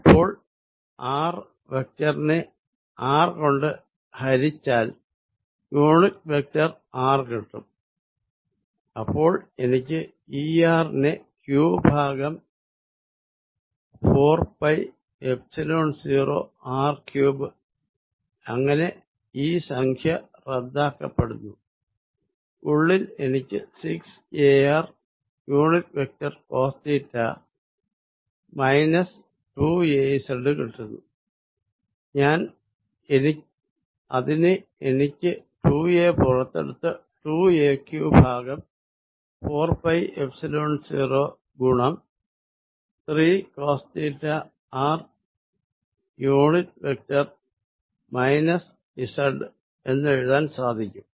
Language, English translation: Malayalam, And now, if I use the fact that r vector divide by r is unit vector r, then I can write E r as q over 4 pi Epsilon 0 r cubed and by the way here this term cancels, inside I get 6a r unit vector cosine of theta minus 2a z which I can write as take 2 a out 2 a q over 4 pi Epsilon 0 3 cosine of theta r unit vector minus z